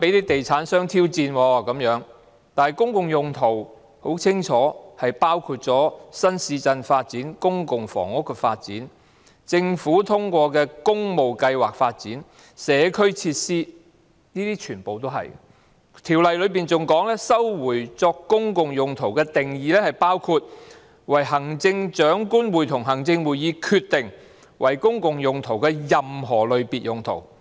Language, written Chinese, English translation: Cantonese, 但很清楚，公共用途包括新市鎮發展、公共房屋發展、政府通過的工務計劃發展及社區設施，這些全部也是公共用途；《條例》更訂明收回作公共用途的定義包括"為行政長官會同行政會議決定為公共用途的任何類別用途......, But obviously a public purpose includes new town development public housing development development of public works programmes approved by the Government and community facilities . All these are public purposes . The Ordinance even provides for the definition of resumption for a public purpose which includes any purpose of whatsoever description which the Chief Executive in Council may decide to be a public purpose